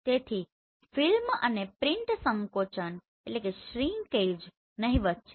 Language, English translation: Gujarati, So film and print shrinkage that is negligible